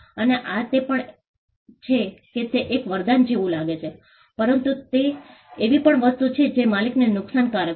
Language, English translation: Gujarati, And this also is it looks like a boon, but it is also something which is disadvantageous to the owner